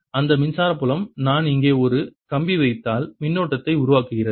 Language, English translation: Tamil, that electric field therefore gives rise to a current if i put a wire here and i should see the effect of that current